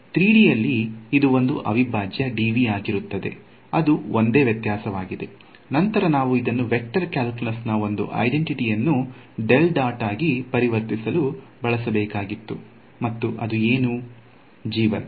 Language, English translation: Kannada, In 3D it would be a integral dv that is only difference, then we had use one identity of vector calculus to convert this into a del dot something; and what was that something